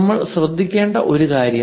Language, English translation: Malayalam, One thing what we have to notice